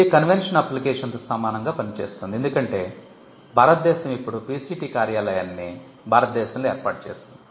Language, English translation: Telugu, Works very similar to the convention application because, India is now PCT has its PCT office set up in India